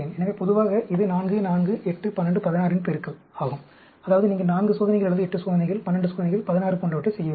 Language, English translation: Tamil, So, generally, it is a multiple of 4, 4, 8, 12,16; that means, you have to do either 4 experiments, or 8 experiments, 12 experiments, 16, like that